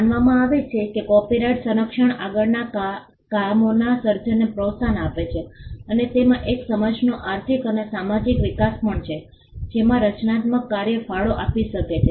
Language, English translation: Gujarati, Copyright protection is also believed to incentivize creation of further works and it also has the economical and social development of a society which the creative work could contribute to